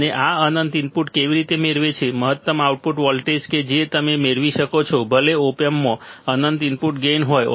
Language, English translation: Gujarati, And how this infinite input gain what is the maximum output voltage that you can obtain even if the op amp has infinite input gain